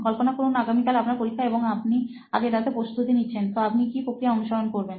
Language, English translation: Bengali, Imagine you have an exam the next day and you are going to prepare this night, so what will you be exactly doing